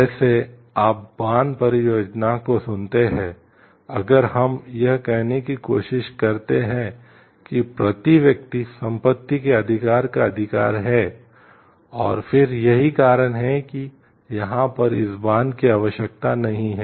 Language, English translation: Hindi, Like you listen to the dam project, if we tell like if we try to say like the person’s right to properties per amount, and then and that is why this dam is not required over here